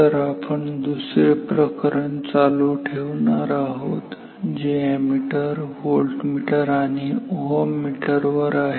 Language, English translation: Marathi, So, we are continuing with our second chapter which is on ammeter, voltmeters and oeters